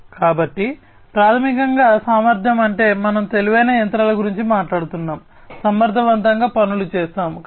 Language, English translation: Telugu, So, basically efficiency means like, we are talking about intelligent machinery, performing things efficiently